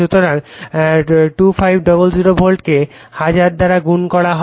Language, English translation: Bengali, So, 2500 volt multiplied / 1000